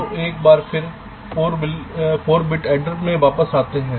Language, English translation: Hindi, fine, so lets come back to the four bit adder once more